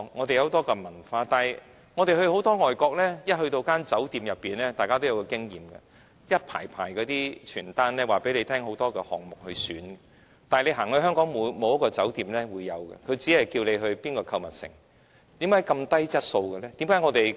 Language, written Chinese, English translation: Cantonese, 大家到外地旅遊都有這經驗，便是一進酒店，便會看到一排一排的旅遊單張，介紹很多項目任君選擇，但香港沒有一間酒店會這樣做，只會叫你到哪個購物城，為何質素這麼低？, Members may have the following experience when travelling abroad as soon as we go into a hotel we will find rows and rows of tourist pamphlets introducing various tourist attractions . But none of the hotels in Hong Kong adopts such a practice . All they recommend is the shopping malls